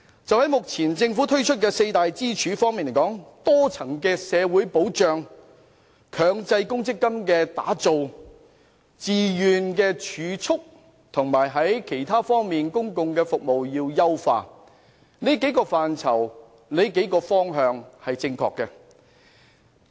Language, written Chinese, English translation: Cantonese, 就目前政府提出的多支柱退休模式而言，即包括多層的社會保障、強積金、自願儲蓄，以及其他方面的公共服務，這些範疇和方向均是正確的，但須予以優化。, In respect of the multi - pillar retirement protection model proposed by the Government which consists of a multi - level social security system MPF voluntary savings as well as other areas of public services the scope and direction are right but refinement is needed